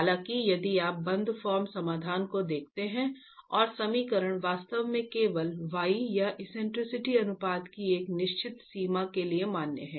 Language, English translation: Hindi, However, if you look at the close form solution and the equation is actually valid only for a certain range of y or the eccentricity ratios